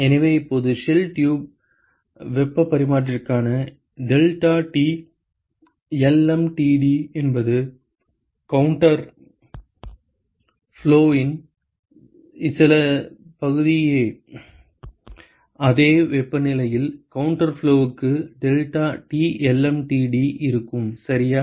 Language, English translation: Tamil, So, now it turns out that the deltaT lmtd for a shell tube heat exchanger it is basically some fraction of the deltaT lmtd for counter flow ok, deltaT lmtd for a counter flow which is exactly at the same temperatures ok